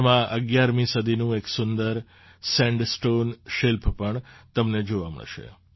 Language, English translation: Gujarati, You will also get to see a beautiful sandstone sculpture of the 11th century among these